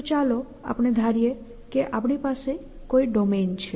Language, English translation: Gujarati, So, let us that is assume that we have some simple domain